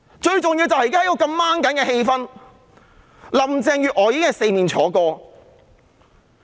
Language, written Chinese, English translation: Cantonese, 最重要的是，在目前如此緊張的氣氛下，林鄭月娥已四面楚歌。, Most importantly in such a tense atmosphere at present Carrie LAM has been facing challenges from all sides